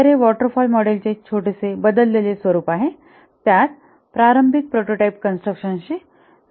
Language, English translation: Marathi, So, it's a small variation of the waterfall model, only the initial prototype construction that is added here